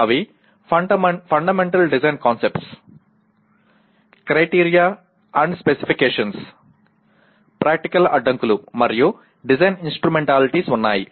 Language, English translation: Telugu, They include Fundamental Design Concepts, Criteria and Specifications, Practical Constraints, and Design Instrumentalities